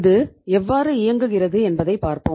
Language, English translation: Tamil, So now we will see that how it happens and how it works